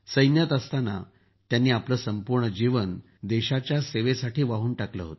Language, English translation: Marathi, While in the army, he dedicated his life to the country